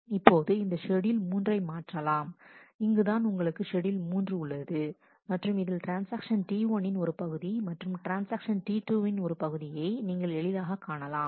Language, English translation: Tamil, Now, that this schedule 3 can be converted to so, this is where you have schedule 3, and you can easily see that the part of transaction T 1 then a part of transaction T 2